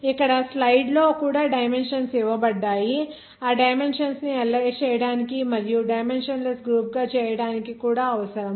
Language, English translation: Telugu, Here in this slide also these dimensions are given respectively here all those dimensions should be required to analyze that dimension and to make it dimensionless group